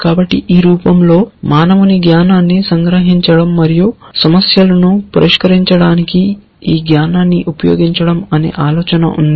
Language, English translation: Telugu, So, the idea is to capture knowledge of a human in this form and use this knowledge to solve problems